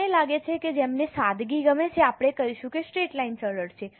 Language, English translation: Gujarati, I think those who like simplicity will say that straight line is simple